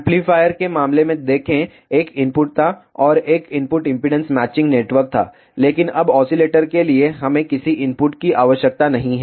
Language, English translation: Hindi, See in the case of amplifier there was an input and there was a input impedance matching network, but now for oscillator we do not need any input